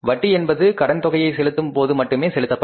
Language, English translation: Tamil, Interest is paid only at the time of repaying the principal